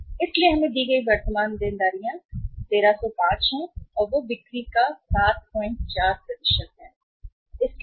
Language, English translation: Hindi, So current liabilities given to us are 1305 and they work out as 7